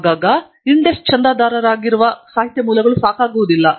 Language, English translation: Kannada, Very often the literature sources that are subscribed by INDEST are not adequate